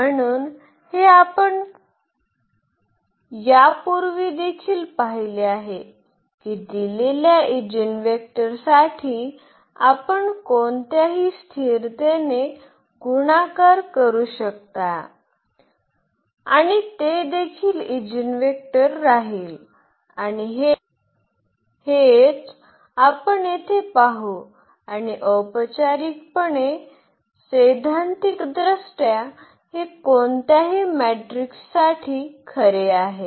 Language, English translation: Marathi, So, this we have also seen before that for the given eigenvector you can multiply by any constant and that will also remain the eigenvector and this is what we will see here, and more formally theoretically that this is true for any matrix